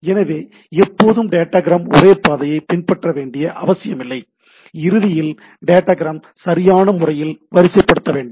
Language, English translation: Tamil, So, it is not necessarily that always the datagram will follow the same path and at the end the datagram need to be appropriately sequenced right